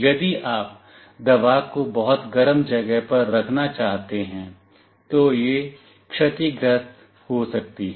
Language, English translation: Hindi, If you want to keep the medicine in a very hot place, it might get damaged